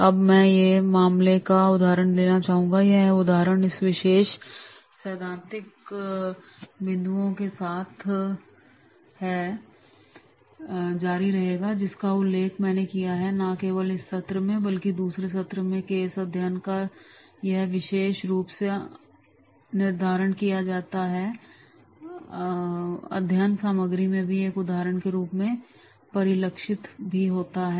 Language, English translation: Hindi, Now, I would like to take an example of a case and this example will continue with this particular theoretical points which I have mentioned and not only in this session but next subsequent session also this particular framing of the case study that will continue and it will be reflected in into the as an example in the study material